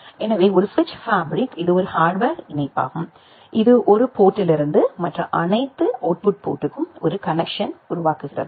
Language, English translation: Tamil, So, a switch fabric it is a hardware connection that make a connection from one port to all other output ports